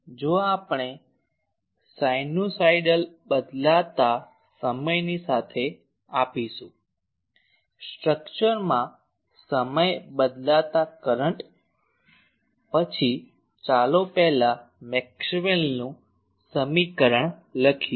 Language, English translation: Gujarati, So, if we give a sinusoidal time variation; time varying current to a structure then let us first write the Maxwell’s equation